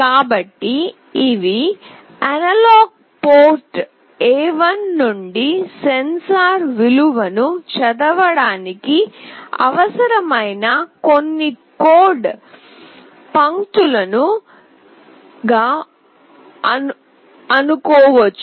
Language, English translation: Telugu, So, these are the few lines of code that are required to read the sensor value from the analog port A1